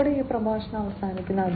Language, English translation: Malayalam, With this we come to an end of this lecture